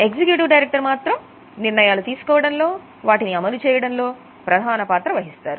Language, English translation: Telugu, Executive directors are there in taking decisions and also executing them